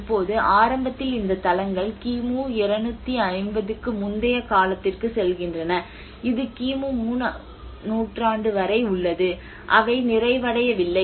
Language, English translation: Tamil, Now, initially these sites goes back to almost pre 250 BC which is almost to the 3rd century BC as well and they are not done